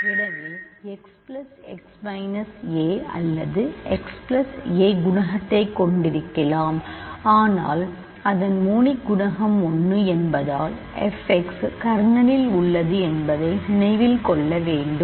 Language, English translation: Tamil, So, x plus x minus a or x plus a in general you can have coefficient, but because its monic coefficient is 1, but then remember f x is in the kernel as I mentioned earlier